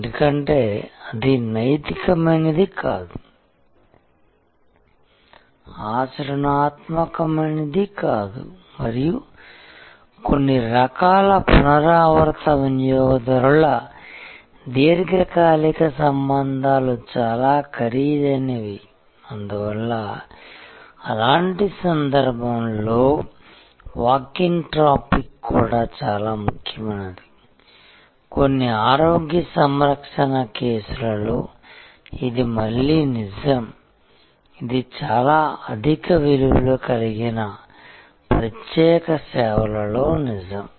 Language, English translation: Telugu, Because, that is not neither ethical not desirable not practical and some types of repeat customers are long term relationships and may be quite costly and therefore, in such cases the walk in traffic will also be quite important, this is true again in certain health care cases, this is true in some very high value exclusive services